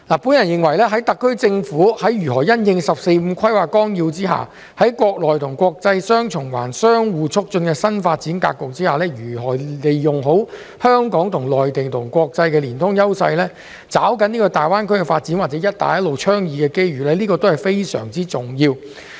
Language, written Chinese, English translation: Cantonese, 我認為在特區政府在如何因應《十四五規劃綱要》之下國內國際雙循環相互促進的新發展格局，利用好香港與內地及國際的連通優勢，抓緊大灣區發展及"一帶一路"倡議的機遇，都是非常重要的。, To me it is of vital importance that the SAR Government finds the way to leverage Hong Kongs connectivity with the Mainland and international market and to seize the opportunities presented by the Greater Bay Area development and the Belt and Road Initiative in response to the 14 Five - Year Plan which has proposed the new development pattern featuring domestic and international dual circulations that complements each other